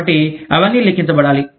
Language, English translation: Telugu, So, all of that, has to be accounted for